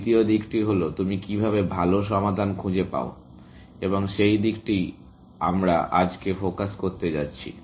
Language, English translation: Bengali, The second aspect is, how good a solution you find, and that is the aspect that we are going to focus on today